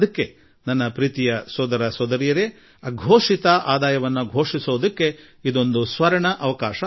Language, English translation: Kannada, And so my dear brothers and sisters, this is a golden chance for you to disclose your undisclosed income